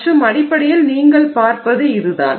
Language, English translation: Tamil, So, that is basically what you start seeing